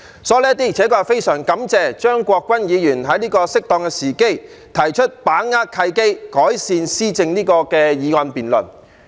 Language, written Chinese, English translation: Cantonese, 所以，的確非常感謝張國鈞議員在適當時機提出"把握契機，改善施政"議案辯論。, For these reasons I am honestly grateful to Mr CHEUNG Kwok - kwan for moving this motion on Seizing the opportunities to improve governance for debate at this opportune moment